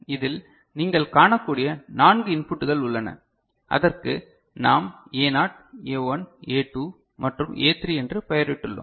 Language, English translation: Tamil, So, in this what you can see there are 4 inputs we have named it A naught, A1, A2, and A3 right